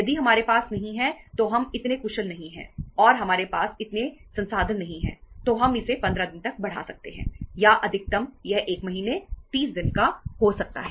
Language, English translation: Hindi, If we donít have, we are not that much efficient and we donít have that much of the resources we can raise it to 15 days or maximum it can be 1 month, 30 days